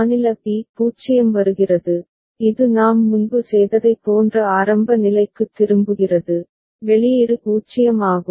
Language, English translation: Tamil, State b 0 comes, it comes back to the initial state similar to what we had done before, output is 0